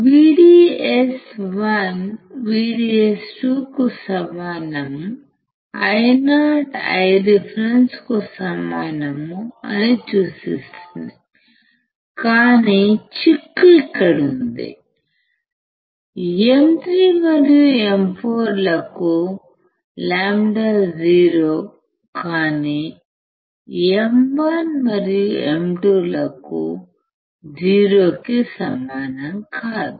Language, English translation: Telugu, VDS one equals to VDS 2, implies Io equals to I reference right, but the catch is here that, lambda for M 3 and M 4 is 0, but for M1 and M 2 is not equal to 0